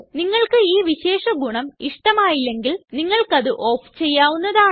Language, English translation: Malayalam, If we do not like this feature, we can turn it off